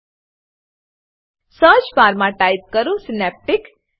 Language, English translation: Gujarati, In the search bar, type Synaptic